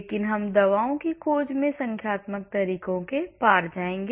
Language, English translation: Hindi, But we will come across numerical methods in drug discovery